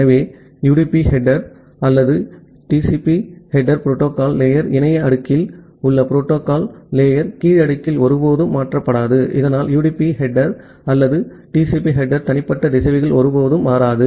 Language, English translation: Tamil, So, the UDP header or the TCP header never gets changed at the lower layer of the protocol stack at the internet layer of the protocol stack so that UDP header or the TCP header will never get changed at the individual routers